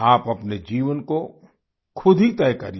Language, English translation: Hindi, Decide and shape your life yourself